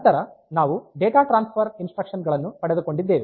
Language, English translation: Kannada, Then we have got the data transfer instructions